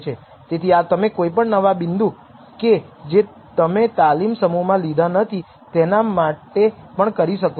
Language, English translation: Gujarati, So, you can do this for any new point which you have not seen before in the test set also